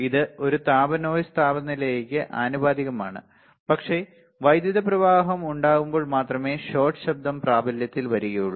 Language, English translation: Malayalam, It is just a thermal noise is proportional to the temperature also, but shot noise only comes into effect when there is a flow of current